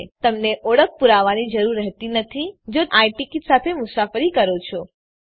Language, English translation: Gujarati, OF course you dont need an identity proof if you travel with an I ticket